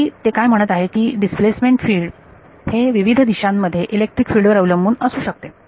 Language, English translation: Marathi, So, what is saying is that the displacement field can depend on electric field in different directions